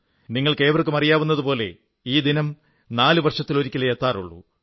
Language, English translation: Malayalam, All of you know that this day comes just once in four years